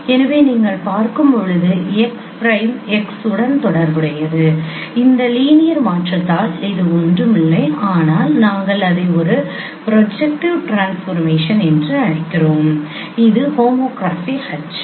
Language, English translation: Tamil, So as you see x prime is related with x by this linear transformation and which is nothing but we call it a projective transformation and which is what is homography H